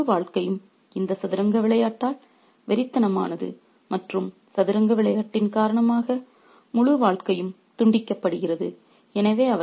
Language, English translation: Tamil, Their entire life is obsessed by this game of chess and their entire life is cut off because of this game of chess